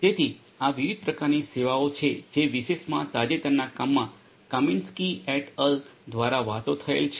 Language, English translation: Gujarati, So, these are the different types of services that this particular work by Kamienski et al in a very recent work talks about